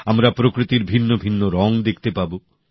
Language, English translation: Bengali, We will get to see myriad hues of nature